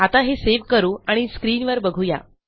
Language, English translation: Marathi, So, lets save that and have a look in here